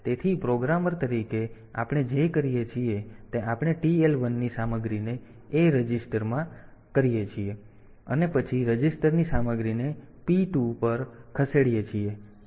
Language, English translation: Gujarati, So, as a programmer what we do we move the content of TL 1 registered to A, and then move the content of a register to P 2